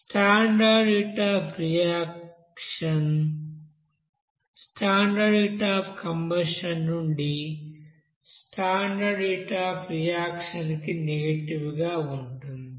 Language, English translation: Telugu, So basically here we can say that standard heat of reaction will be is equal to negative of standard heat of reaction from the standard heat of combustion